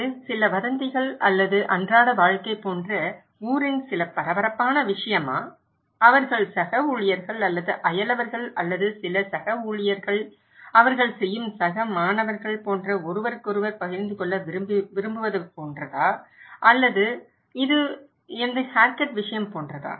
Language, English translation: Tamil, Is it kind of some hot topic of the town like some gossip or just day to day life they want to share with each other like the colleagues or the neighbours or some co workers, co students they do or is it about my haircut